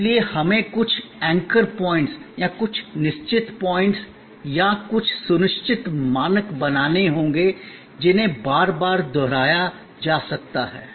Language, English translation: Hindi, So, we have to create some anchor points or some fixed points or some assured standards, which can be repeated again and again